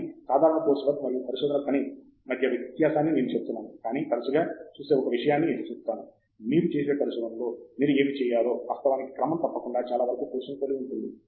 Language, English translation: Telugu, But, I have been saying the difference between the regular course work and research work, but let me point out one thing which is often over looked by people which is actually very similar what you should do in research, which you do regularly for course work